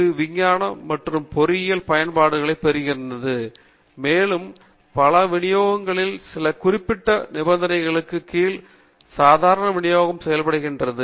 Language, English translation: Tamil, It finds applications in science and engineering and many of the other distributions also tend to the normal distribution under certain conditions